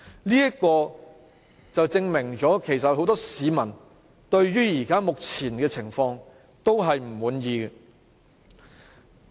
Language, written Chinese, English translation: Cantonese, 這便證明有很多市民對於目前的情況感到不滿意。, This shows that many members of the public are not satisfied with the present situation